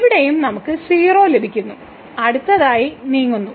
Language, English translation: Malayalam, So, here also we get 0 and now moving next